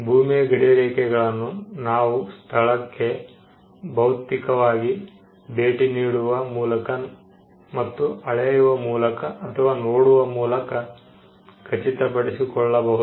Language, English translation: Kannada, The boundaries can be ascertained physically by going to the location and measuring it or looking at it